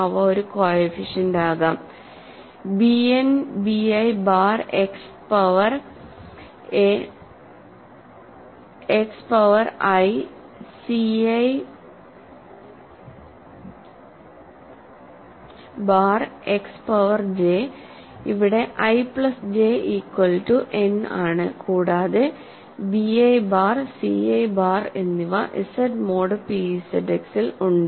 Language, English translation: Malayalam, They can be something a coefficient, something like b n b i bar X power I, c i bar X power j, where i plus j is equal to n and b i bar and c i bar are in Z mod p Z X, right